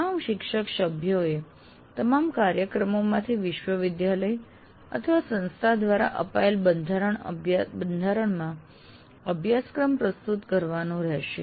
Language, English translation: Gujarati, But all faculty members will have to submit the syllabus in the format given by the university or college from all programs